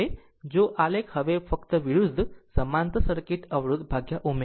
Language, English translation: Gujarati, So, now if you plot now just opposite for parallel circuit impedance by omega